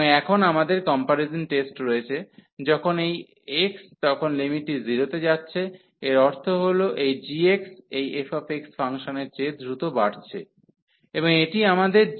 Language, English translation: Bengali, And now we have the comparison test, when this x then the limit is going to 0 that means this g x is growing faster than this f x function, and this is our g x here 1 over x square